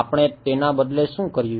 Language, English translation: Gujarati, What did we do rather